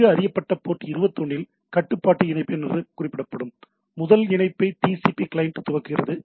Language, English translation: Tamil, The TCP client initiates the first connection, referred to as control connection right on well known port 21